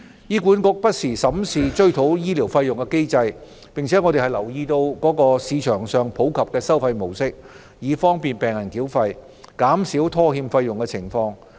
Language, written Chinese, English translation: Cantonese, 醫管局會不時審視追討醫療費用的機制，而我們亦會留意市場上普及的繳費模式，以利便病人繳費，從而減少拖欠繳費的情況。, HA reviews the mechanism for recovery of medical fees from time to time and we also keep in view the modes of payment commonly used in the market to facilitate payment by patients so as to reduce defaults on payments